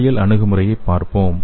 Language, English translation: Tamil, So let us see the physiological approach